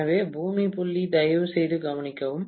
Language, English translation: Tamil, So, the earth point please note is the same